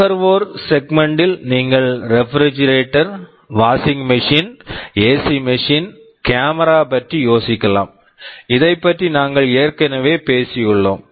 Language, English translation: Tamil, In the consumer segment you can think of refrigerator, washing machine, AC machine, camera, this already we have talked about